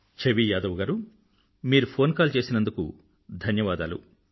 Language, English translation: Telugu, Chhavi Yadav ji, thank you very much for your phone call